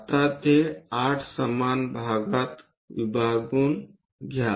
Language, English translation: Marathi, Now, divide that into 8 equal parts